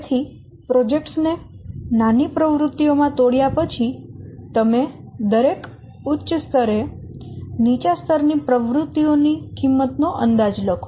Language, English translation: Gujarati, So, after breaking the projects into activities, smaller activities, then you estimate the cost for the lowest level activities